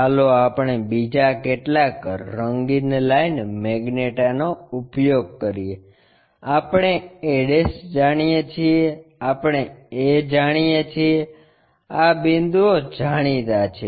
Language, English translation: Gujarati, Let us use some other color magenta, we know a, we know a', this points are known